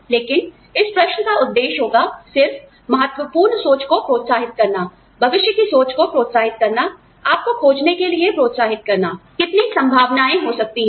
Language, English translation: Hindi, But, it will just, be the purpose of this question, is to stimulate critical thinking, is to stimulate a futuristic thinking, is to stimulate you to find out, how many possibilities, there could be